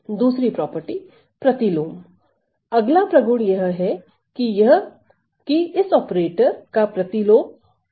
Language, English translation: Hindi, The next property is that there is an inverse of this operator